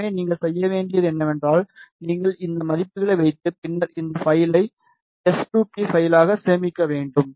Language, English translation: Tamil, So, all you need to do is you need to just put these values and then save this file is not s2p file ok